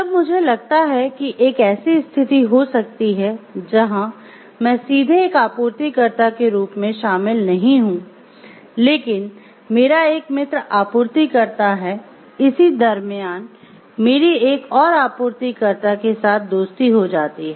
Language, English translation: Hindi, When I feel like there could be a condition where I am not directly involved as a supplier, but one of my friends who is a supplier I develop a friendship with one of the suppliers